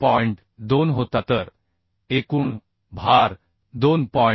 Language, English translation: Marathi, 2 so total load is 2